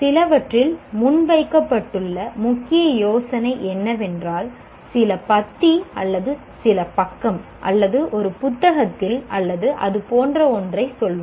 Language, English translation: Tamil, What was the main idea presented in some, let's say, some paragraph or some page or in a book or something like that